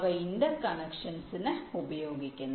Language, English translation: Malayalam, they are used for interconnection